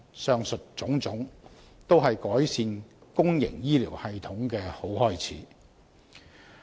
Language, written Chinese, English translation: Cantonese, 上述種種，均是改善公營醫療系統的好開始。, All this is a very good beginning of improving the public health care system